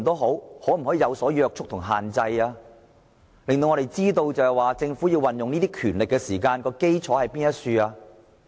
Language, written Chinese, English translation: Cantonese, 可否施加若干約束及限制，令我們知道政府所運用權力的基礎是甚麼？, Is it possible to impose certain constraints and restrictions so that we know the basis on which the power has been exercised by the Government?